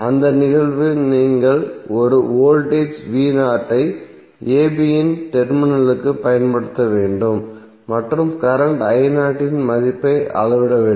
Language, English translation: Tamil, You have to apply one voltage v naught across the terminal of a b and measure the value of current I naught